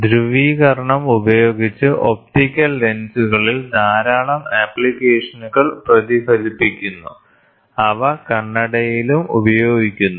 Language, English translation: Malayalam, Lot of applications are reflect the polarization is used in optical lenses with they are also used in spectacles